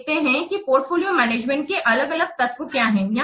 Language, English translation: Hindi, Now let's see what are the different elements to project portfolio management